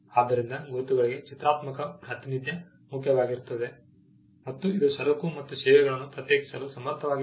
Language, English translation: Kannada, So, graphical representation is key for a mark and which is capable of distinguishing goods and services